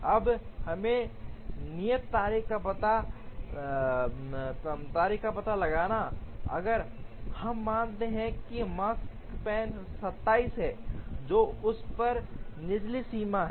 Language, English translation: Hindi, Now, let us find out the due dates, if we assume that the Makespan is 27, which is the lower bound on it